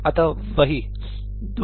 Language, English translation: Hindi, that is what 2